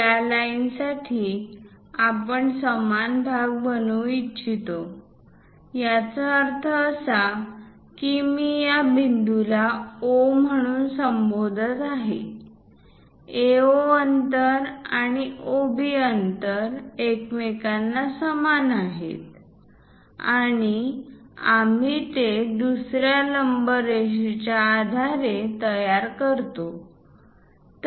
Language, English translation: Marathi, For this line, we would like to bisect into equal parts; that means if I am calling this point as O; AO distance and OB distance are equal to each other and that we construct it based on another perpendicular line